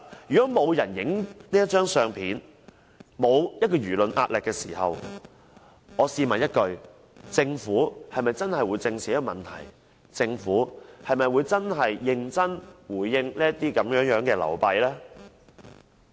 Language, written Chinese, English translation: Cantonese, 如果沒有人拍下這張相片、沒有輿論壓力，試問政府是否真的會正視這個問題、認真回應這些流弊呢？, If no one has taken this photo and there is no pressure of public opinion would the Government really face this issue and seriously deal with these drawbacks?